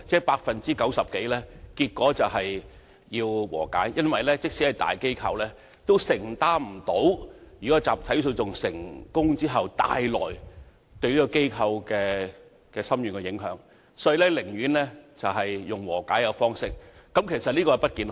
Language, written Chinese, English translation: Cantonese, 百分之九十以上的個案達成和解，因為連大機構也無法承擔一旦集體訴訟成功對機構帶來的深遠影響，故寧願達成和解，但其實這並不健康。, Over 90 % of the cases were settled through conciliation because even large corporations could hardly cope with the far - reaching impact to be brought on them by a successful case of class action and so they would prefer to settle the disputes through conciliation but this is actually not healthy